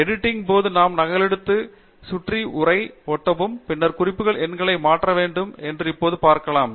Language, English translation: Tamil, We can now see that as we copy paste the text around while editing, then the reference numbers also should change